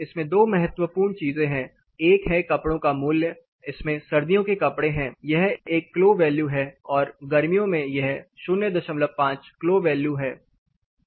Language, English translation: Hindi, It has two important things one is a clothing value it says winter clothing, it is one clo value and summer it says 0